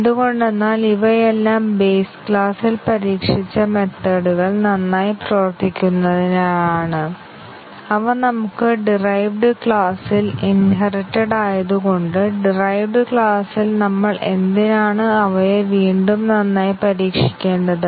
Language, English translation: Malayalam, Why is that because these were the methods that were all tested in the base class to be working fine and we have just inherited them in the derived class, why do we have to test them again thoroughly in the derived class